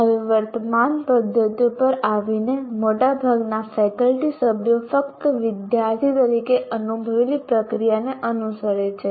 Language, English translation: Gujarati, Now coming to the current practices, most faculty members simply follow the process they experienced as students